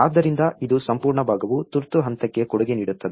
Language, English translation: Kannada, So this is the whole part contributes to emergency phase